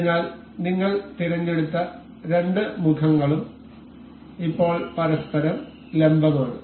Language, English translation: Malayalam, So, the two faces that we selected are now perpendicular to each other